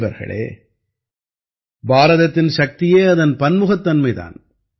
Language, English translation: Tamil, Friends, India's strength lies in its diversity